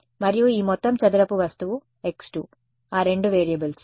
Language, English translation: Telugu, And this entire square object is x 2 those are the two variables